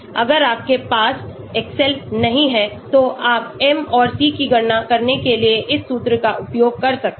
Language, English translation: Hindi, If you do not have excel you can use this formula to calculate the m and c